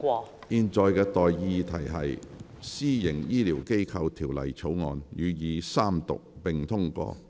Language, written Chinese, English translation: Cantonese, 我現在向各位提出的待議議題是：《私營醫療機構條例草案》予以三讀並通過。, I now propose the question to you and that is That the Private Healthcare Facilities Bill be read the Third time and do pass